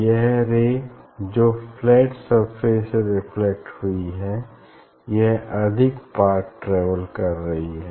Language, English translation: Hindi, there will be this the rays reflected from the flat surface; it is travelling more path